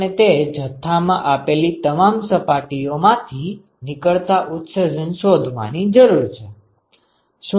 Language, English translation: Gujarati, We need to find out the total emission from every surface given these quantities